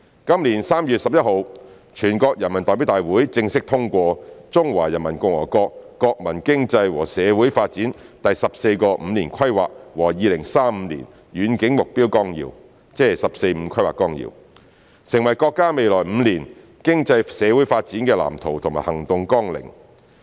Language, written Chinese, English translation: Cantonese, 今年3月11日，全國人民代表大會正式通過《中華人民共和國國民經濟和社會發展第十四個五年規劃和2035年遠景目標綱要》，成為國家未來5年經濟社會發展的藍圖和行動綱領。, The Outline of the 14th Five - Year Plan for National Economic and Social Development of the Peoples Republic of China and the Long - Range Objectives Through the Year 2035 formally endorsed by the National Peoples Congress on 11 March this year maps out the development blueprint and action agenda for the economic and social development of the country in the next five years